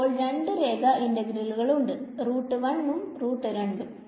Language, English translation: Malayalam, Now we have two line integrals gamma 1 and gamma 2